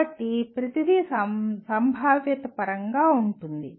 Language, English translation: Telugu, So everything is probabilistic